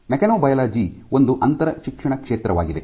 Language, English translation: Kannada, So, mechanobiology it is an interdisciplinary field